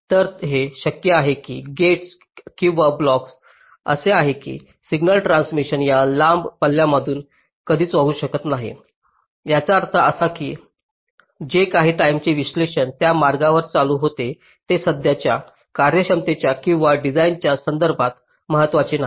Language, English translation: Marathi, so it is possible that the gates or the blocks are such that signal transitions can never flow through that long path, which means whatever timing analysis were carrying out on that path, that is not important in the context of the present functionality or the design